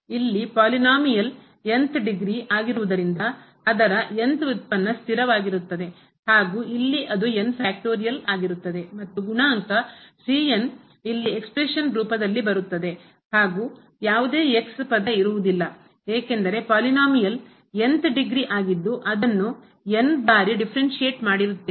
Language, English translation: Kannada, In th order derivative because this was th order polynomial we will get only a constant term which will see here the factorial and the coefficient the will come in the expression here and there will be no term present here because, the polynomial was degree and then we have differentiated times